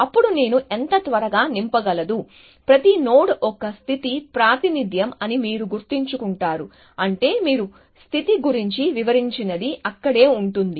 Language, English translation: Telugu, Then how quickly well I am will get fill up with, you remember that each state, each node is a representation of a state which means that, whatever you have described about the state would be there